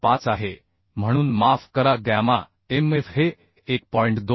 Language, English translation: Marathi, 25 considering shop bolt so sorry gamma mf is 1